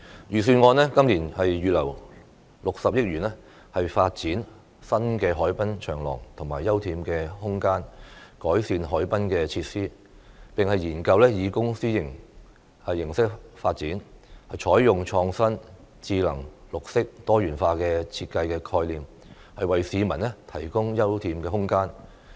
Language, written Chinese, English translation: Cantonese, 預算案今年預留60億元發展新的海濱長廊和休憩空間，改善海濱設施，並研究以公私營形式發展，採用創新、智能、綠色、多元化的設計概念，為市民提供休憩空間。, The Budget this year will earmark 6 billion for developing new harbourfront promenades and open space as well as improving harbourfront facilities . Studies will also be conducted to provide open space to the public through public private partnerships and with innovative smart green and diversified design concepts